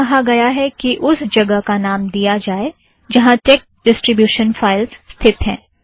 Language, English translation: Hindi, It says, enter the place where the tex distribution is located